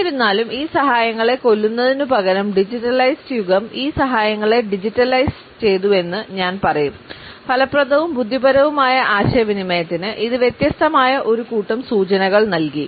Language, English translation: Malayalam, However, I would say that instead of killing these aids that digitalised age has only digitalised these aids and it has provided us a different set of cues for effective and intelligible communication